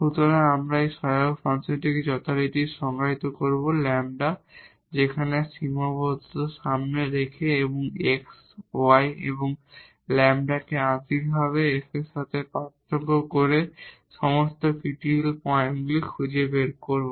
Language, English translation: Bengali, So, we will define this auxiliary function as usual by putting the lambda in front of this constraint there and find all the critical points by differentiating F with respect to x y and the lambda partially